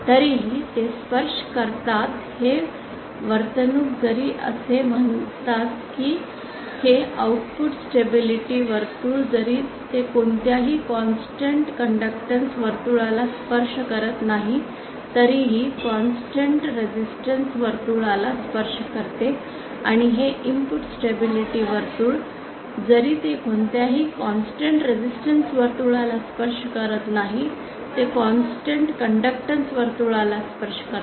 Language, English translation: Marathi, However they do touch say this circle even though even this output stability circle even though it does not touch any constant conductance circle, it does touch a constant resistance circle and this input stability circle even though it does not touch any constant resistance circle, it does touch a constant conductance circle